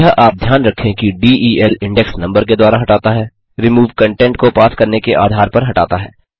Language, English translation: Hindi, One should remember this, that while del removes by index number, remove removes on the basis of content being passed on